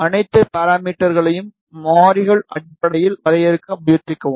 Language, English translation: Tamil, Try to define all the parameters in terms of variables